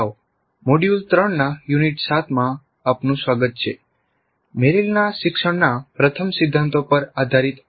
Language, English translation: Gujarati, Greetings, welcome to module 3 unit 9, an ID based on Merrill's principles, first principles of learning